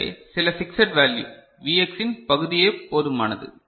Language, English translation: Tamil, So some fixed value, some fraction of Vx is sufficient all right